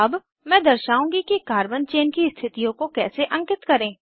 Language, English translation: Hindi, Now I will demonstrate how to number the carbon chain positions